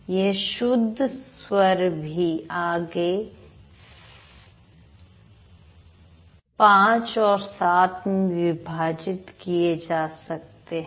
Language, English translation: Hindi, This pure vowels can also be divided into 5 and 7